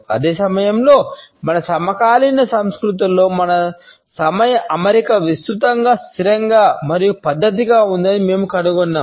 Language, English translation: Telugu, At the same time we find that in our contemporary cultures our arrangement of time is broadly fixed and rather methodical